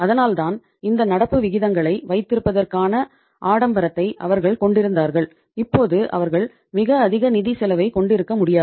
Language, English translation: Tamil, That is why they were having the luxury of keeping this much current ratios now they cannot afford to have the very high financial cost